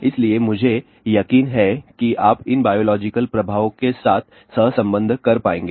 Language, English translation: Hindi, So, I am sure you will be able to correlate with these biological effect